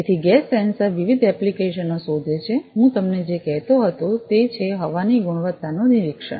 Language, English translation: Gujarati, So, gas sensors find different applications; what I was telling you is air quality monitoring